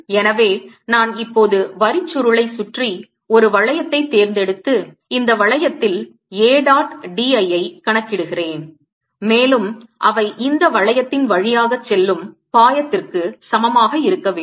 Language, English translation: Tamil, so let me now choose a loop around the solenoid and calculate a dot d l on this loop, and they should be equal to the flux passing through this loop